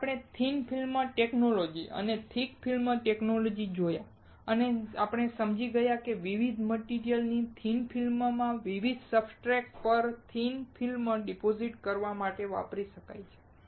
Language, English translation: Gujarati, Then we saw thin film technology and thick film technology and we understood that thin films of different materials, can be used to deposit thin film on the different substrate